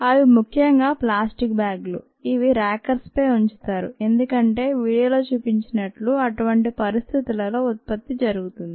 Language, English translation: Telugu, they are essentially plastic bags that are kept on rockers, as the video would demonstrate, and the production happens in such a condition